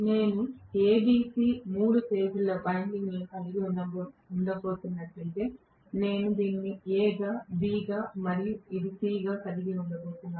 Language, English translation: Telugu, If I am going to have A B C three phase windings, I am going to have this as A this as B and this as C